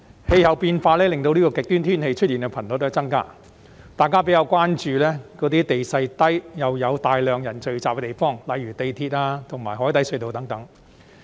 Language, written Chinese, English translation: Cantonese, 氣候變化令極端天氣出現的頻率增加，大家比較關注地勢低又有大量人群聚集的地方，例如港鐵和海底隧道等。, Climate change has increased the frequency of extreme weather and we are more concerned about places with low terrain and large crowds eg . the MTR and the harbour crossings